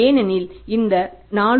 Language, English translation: Tamil, This works out as 4